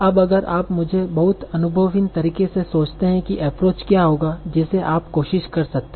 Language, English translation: Hindi, So now, if you think of it in a very naive manner what will be an approach that you might try